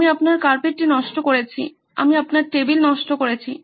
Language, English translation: Bengali, I spoilt your carpet, I spoilt your table